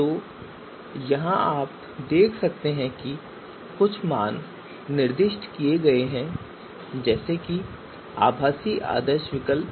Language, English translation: Hindi, So here you can see some values have been specified here so virtual ideal alternatives